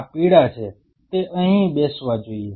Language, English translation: Gujarati, These are yellow should be sitting here